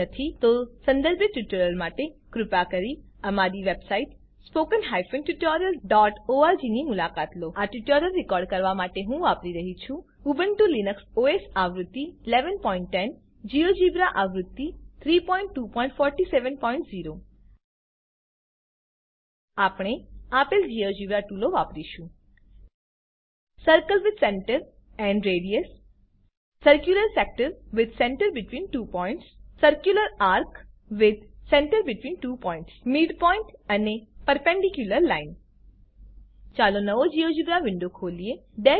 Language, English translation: Gujarati, If not, For relevant tutorials, please visit our website: http://spoken tutorial.org To record this tutorial I am using Ubuntu Linux OS Version 11.10 Geogebra Version 3.2.47.0 We will use the following Geogebra tools * Circle with Center and Radius * Circular Sector with Center between Two Points * Circular Arc with Center between Two points * Midpoint and Perpendicular line Lets open a new GeoGebra window